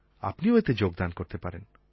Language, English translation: Bengali, You can contribute to the site